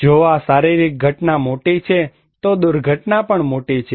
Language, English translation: Gujarati, If this physical event is bigger, disaster is also big